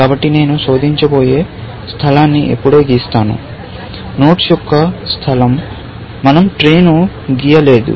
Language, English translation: Telugu, So, I have just drawn the space that is going to be searched; the space of nodes; we have not drawn the tree